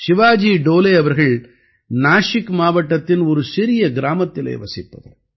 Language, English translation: Tamil, Shivaji Dole hails from a small village in Nashik district